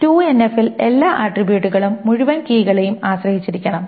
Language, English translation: Malayalam, And 3NF, all attributes must depend on nothing but the key or nothing